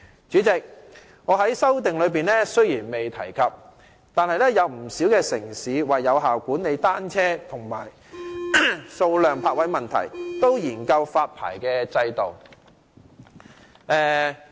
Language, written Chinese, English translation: Cantonese, 主席，雖然我在修正案中未有提及，但不少城市為有效管理單車的數量及泊位問題，也會研究發牌制度。, President quite a number of cities will study the introduction of a licensing regime for effective management of the number of bicycles and solving problems related to parking spaces though I have not mentioned this in my amendment